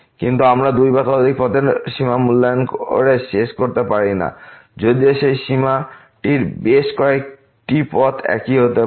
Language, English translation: Bengali, But we cannot conclude by evaluating the limit along two or many paths that this is the limit, even though that limit may be same along several paths